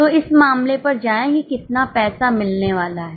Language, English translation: Hindi, So, go to the case how much money is going to be received